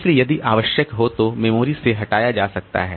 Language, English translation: Hindi, So, it can be removed from the memory if required